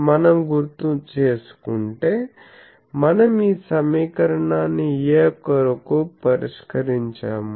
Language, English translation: Telugu, Now, what we will do that we recall that, we have solved this equation for A